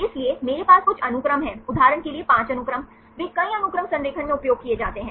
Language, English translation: Hindi, So, I have few sequences for example, 5 sequences, they are used in the multiple sequence alignment